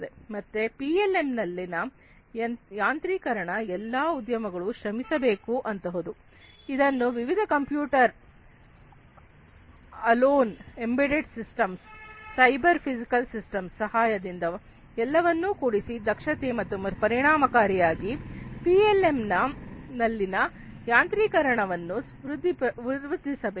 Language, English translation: Kannada, So, automation in the PLM is something that the industries will have to be striving for with the help of different things such as you know computers alone embedded systems, cyber physical systems everything has to be taken together in order to improve upon this efficiency and effectiveness in the automation of PLM